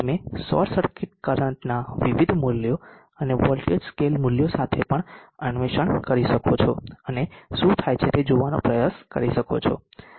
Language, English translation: Gujarati, You can also explore with the different values of short circuit current and the voltage scale values and try to see what happens